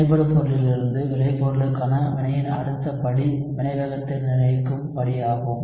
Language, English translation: Tamil, The next step conversion of the reactant to the product is your rate determining step